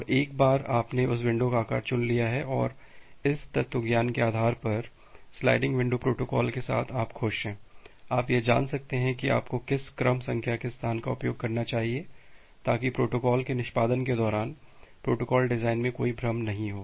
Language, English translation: Hindi, And once you have selected that window size and your happy with a sliding window protocol based on this philosophy, you can find out that what sequence numbers space you should use such that there is no am no confusion in the protocol design during the execution of the protocol